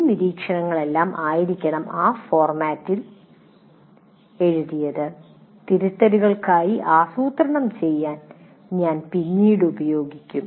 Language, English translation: Malayalam, So everything, all these observations should be written in this format which we will use later to plan for corrections